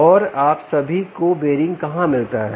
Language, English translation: Hindi, and where is the bearing